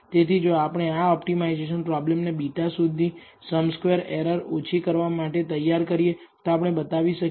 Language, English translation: Gujarati, So, if we setup this optimization problem to minimize the sum squared errors to find beta we will we can show